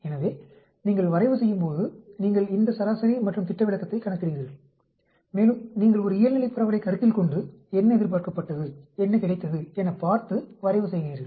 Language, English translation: Tamil, So, when you plot, you calculate this mean and standard deviation and you plot assuming a Normal distribution, what is expected and what is observed